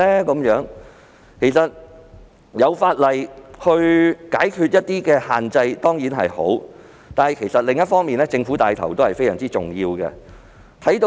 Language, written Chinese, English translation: Cantonese, 能夠透過法例解決一些限制當然是好事，但政府的帶頭作用也是相當重要的。, While it is surely good to address certain limitations by way of legislation it is also imperative for the Government to take up the leading role